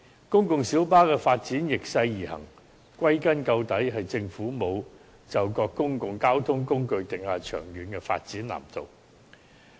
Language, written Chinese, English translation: Cantonese, 公共小巴發展逆勢而行，歸根結底，便是政府沒有就各公共交通工具訂下長遠的發展藍圖。, In the final analysis the reversed trend of development of PLBs is attributable to the fact that the Government has not formulated a long - term development blueprint for various modes of public transport